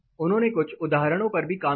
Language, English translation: Hindi, We looked at some examples